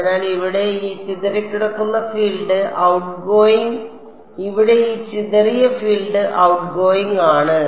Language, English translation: Malayalam, So, here this scattered field is outgoing here this scattered field is outgoing